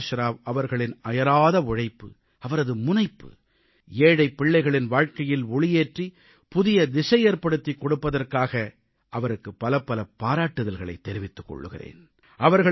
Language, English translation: Tamil, Prakash Rao for his hard work, his persistence and for providing a new direction to the lives of those poor children attending his school